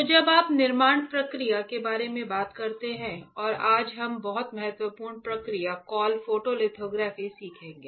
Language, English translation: Hindi, So, when you talk about fabrication process alright and that today we will learn very important process call photolithography